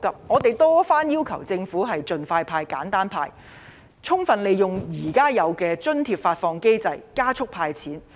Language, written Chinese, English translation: Cantonese, 我們多番要求政府盡快派、簡單派，充分利用現有的津貼發放機制，加速"派錢"。, We have asked the Government time and again to give out the money expeditiously in a simple way by making full use of the existing subsidy disbursement mechanism to expedite the process